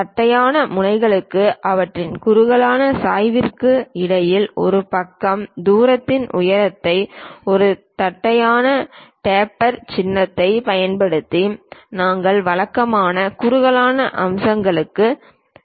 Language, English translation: Tamil, Giving height of one side distance between flat ends and their taper slope using a flat taper symbol, we usually go for tapered features